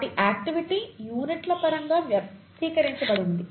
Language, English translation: Telugu, Their activity is expressed in terms of units of activity, right